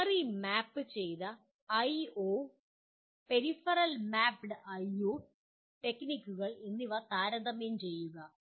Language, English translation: Malayalam, Compare the memory mapped I/O and peripheral mapped I/O techniques